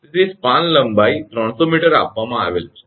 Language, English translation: Gujarati, So, span length is given 300 meter